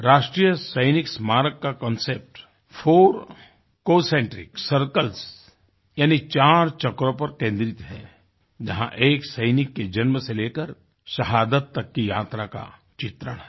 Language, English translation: Hindi, The concept of the National Soldiers' Memorial is based on the notion of four concentric circles, which depicts the journey of a soldier from coming into being, culminating in his martyrdom